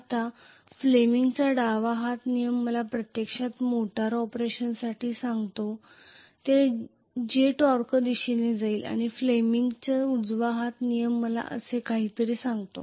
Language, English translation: Marathi, Now fleming’s left hand rule actually tells me for the motor operation which is going to be the torque direction and fleming’s right hand rule essentially tells me something like this